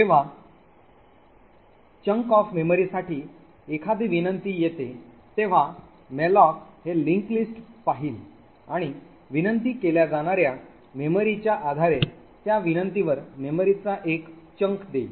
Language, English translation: Marathi, In whenever a request occurs for a chunked of memory, then malloc would look into these linked lists and allocate a chunk of memory to that request depending on the amount of memory that gets requested